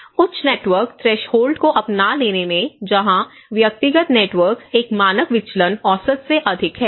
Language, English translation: Hindi, Then in the high network threshold adopters where, whose personal network threshold one standard deviation higher than the average